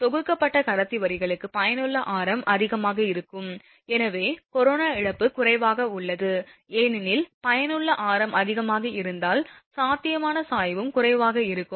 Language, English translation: Tamil, For bundled conductor lines effective radius is high, hence corona loss is less because if effective radius is high then potential gradient that will be also less